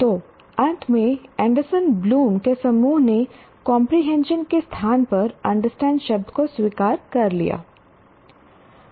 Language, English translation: Hindi, So finally, the Anderson Bloom's group have accepted the word understand in place of comprehension